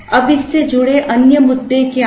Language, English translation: Hindi, Now, what are the other issues related to this